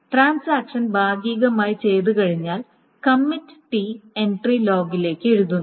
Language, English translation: Malayalam, Okay, after the transaction partially commits, the commit T entry is written to the log